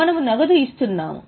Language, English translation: Telugu, We are paying cash is going out